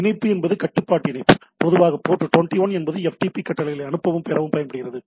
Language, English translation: Tamil, So, connection is control connection is typically port 21 uses to send and receive FTP commands